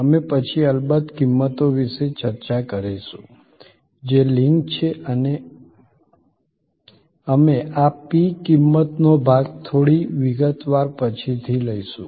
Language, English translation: Gujarati, We are then of course discussed about prices, which are linked and we will take up this p, the price part in little detail later